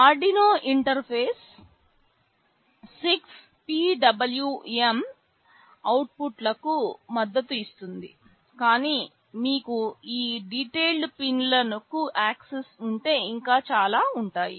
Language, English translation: Telugu, Arduino interface supports up to 6 PWM outputs, but if you have access to these detailed pins there are many more